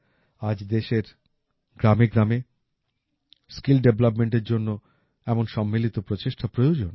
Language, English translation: Bengali, Today, such collective efforts are needed for skill development in every village of the country